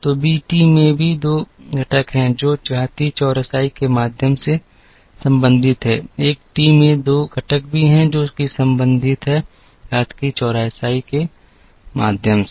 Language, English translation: Hindi, So, the b t also has 2 components, that are related through exponential smoothing, the a t also has 2 components that are related, through exponential smoothing